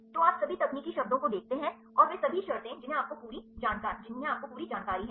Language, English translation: Hindi, So, you see all the technical terms and, they all the terms you have the a complete information